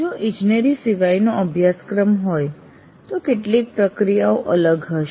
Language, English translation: Gujarati, If it is a non engineering course, some of these processes will be different